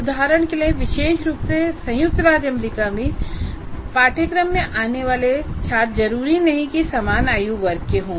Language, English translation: Hindi, For example, in a context, especially in United States of America, the students who come to a course do not necessarily belong to the same age group